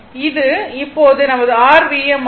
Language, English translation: Tamil, So, this will become V m upon 2